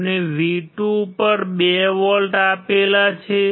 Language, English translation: Gujarati, We have applied 2 volts at V2